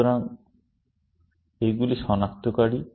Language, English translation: Bengali, So, these are the identifiers